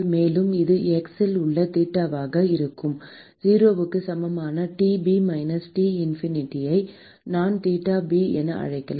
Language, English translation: Tamil, And this will be theta at x equal to 0 is T b minus T infinity which I can call it as theta b